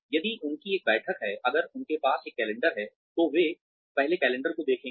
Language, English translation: Hindi, If they have a meeting, if they have a calendar, they will first look at the calendar